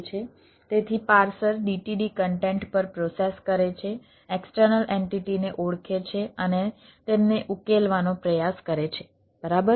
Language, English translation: Gujarati, so the parser processes the d t d content, identifies the external entities and tries to resolve them all right